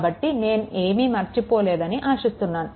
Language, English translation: Telugu, So, I hope I have not missed anything, right